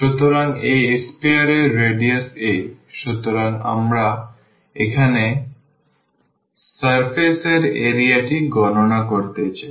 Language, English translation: Bengali, So, the radius of the a sphere is a; so, we want to compute the surface area now